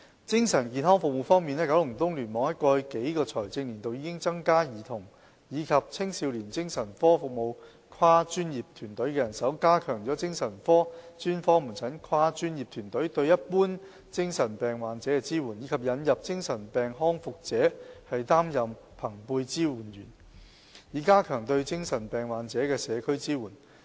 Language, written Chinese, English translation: Cantonese, 在精神健康服務方面，九龍東聯網在過去數個財政年度已增加兒童及青少年精神科服務跨專業團隊的人手，加強精神科專科門診跨專業團隊對一般精神病患者的支援，以及引入由精神病康復者擔任朋輩支援者的先導計劃，以加強對精神病患者的社區支援。, Coming to mental health services KEC has in the past couple of fiscal years provided additional manpower for multi - disciplinary teams for Child Adolescent Psychiatric services strengthen the support provided by multi - disciplinary teams of psychiatric specialist outpatient service for mentally ill patients in general and introduce a pilot scheme on peer supporters for ex - mentally ill patients in order to enhance community support for mentally ill patients